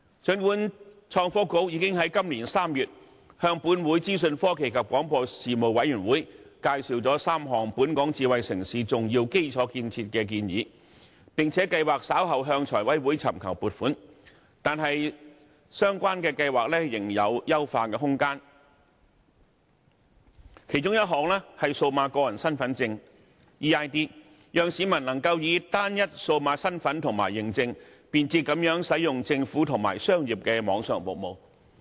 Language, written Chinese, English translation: Cantonese, 儘管創新及科技局已經在今年3月向本會的資訊科技及廣播事務委員會介紹了3項本港智慧城市重要基礎建設的建議，並計劃稍後向財務委員會尋求撥款，但相關的計劃仍有優化空間，其中一項是數碼個人身份證，讓市民能夠以單一數碼身份及認證，便捷地使用政府及商業的網上服務。, While the Innovation and Technology Bureau already briefed the Panel on Information Technology and Broadcasting of this Council on the three key infrastructural projects for smart city development in Hong Kong this March and plans to seek funding approval from the Finance Committee later on such projects still have room for enhancement . One of them is an electronic identity eID which allows convenient access to online government and commercial services by members of the public with a single digital identity and authentication